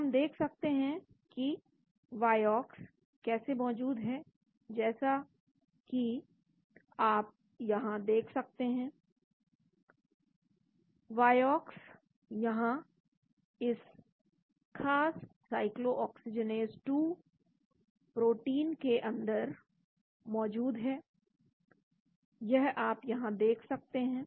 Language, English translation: Hindi, so we can look at how vioxx is present as you can see here, vioxx is present inside this particular cyclooxygenase 2 protein you can see there here